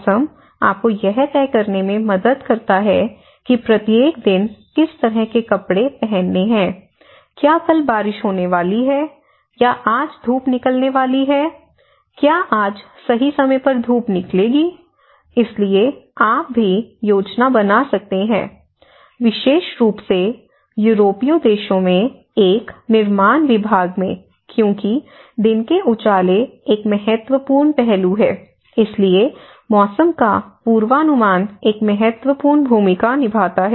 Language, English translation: Hindi, Whereas in a weather, it helps you to decide what clothes to wear each day, is it going to rain tomorrow, is it going to get sunshine today, is it a sunny day today right, so accordingly you can even plan especially in a construction department in the European countries because daylighting is an important aspect so, weather plays an important role, weather forecast plays an important role